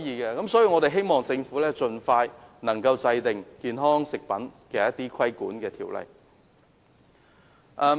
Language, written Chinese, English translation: Cantonese, 因此，我希望政府能夠盡快制定一項規管健康食品的條例。, So I hope the Government can expeditiously enact an ordinance to regulate health food products